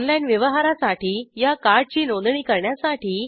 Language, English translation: Marathi, To register this card for online transaction